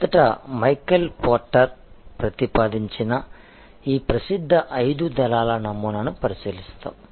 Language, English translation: Telugu, To start with we will look at this famous five forces model, originally proposed by Michael porter